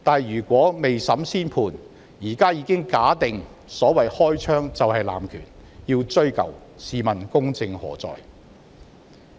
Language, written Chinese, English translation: Cantonese, 如果未審先判，現在便已假定"開槍"就是濫權，要"追究"，試問公正何在？, If we make a judgment before trial it means that we assume that shooting is abuse of power that warrants investigation to find out who is to blame may I ask where justice has gone?